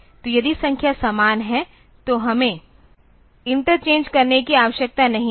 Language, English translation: Hindi, So, if the numbers are same it if the numbers are same then I do not need to interchange